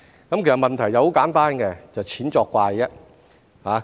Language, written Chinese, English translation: Cantonese, 其實問題很簡單，就是"錢作怪"。, Actually the question is very simple that is it is all about money